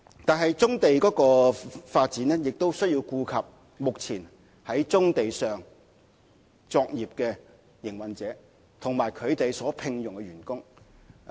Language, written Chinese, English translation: Cantonese, 但是，發展棕地亦需要顧及目前在棕地上作業的營運者，以及他們所聘用的員工。, However when we develop brownfield sites we have to take into consideration the existing brownfield operations the operators and their employees